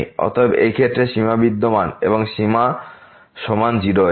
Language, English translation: Bengali, Therefore, in this case the limit exists and the limit is equal to